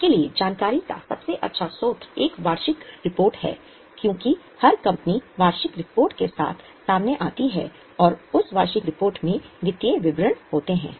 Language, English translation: Hindi, The best source of information for you is a annual report because every company comes out with a annual report and that annual report has financial statements